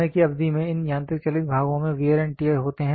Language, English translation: Hindi, These mechanical moving parts over a period of time have wear and tear